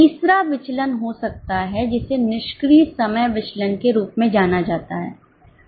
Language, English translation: Hindi, There can be third variance that is known as idle time variance